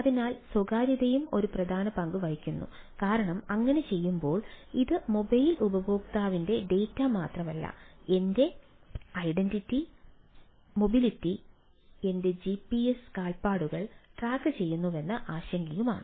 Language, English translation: Malayalam, so privacy also plays the important role because in doing so it is not only the data of the mobile user but also my concerned, maybe that my identity, my mobility, my ah gps footprints are being tracked right